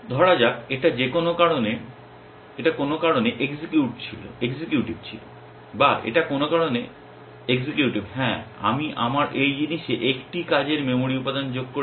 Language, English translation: Bengali, Let us say this was executive for some reason or this one is executive for some reason, yeah I have added 1 working memory element to my these thing